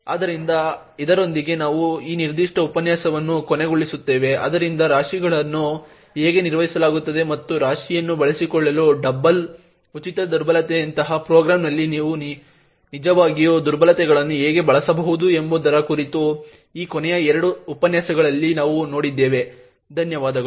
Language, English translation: Kannada, So with this we will actually wind up this particular lecture, so we had seen in this last two lectures about how heaps are managed and how you could actually use vulnerabilities in the program such as a double free vulnerability to exploit the heap, thank you